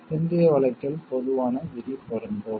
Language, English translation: Tamil, In the later case the general rule applies